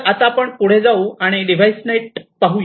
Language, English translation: Marathi, So, let us now proceed further and to look at the DeviceNet